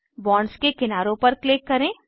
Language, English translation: Hindi, Click on the edges of the bonds